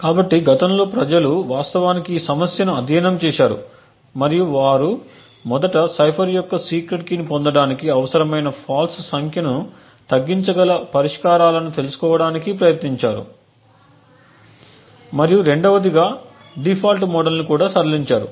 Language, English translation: Telugu, So in the past people have actually studied this problem and they have tried to find out solutions by which firstly we can reduce the number of faults that are required to obtain the secret key of the cipher and 2nd also relax default model